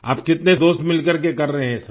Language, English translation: Hindi, How many of your friends are doing all of this together